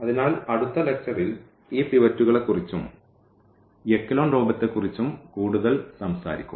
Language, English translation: Malayalam, So, we will be talking about in the next lecture more about these pivots and echelon form